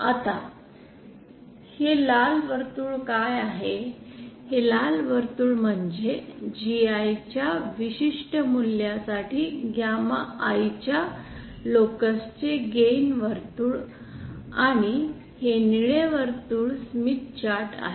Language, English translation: Marathi, Now, what is these red circles are the these red circles are the gain circles of the locus of the gamma I for a particular value of capital GI and this blue circle is the Smith chart